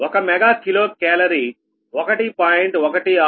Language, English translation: Telugu, note that one mega kilo calorie is equal to one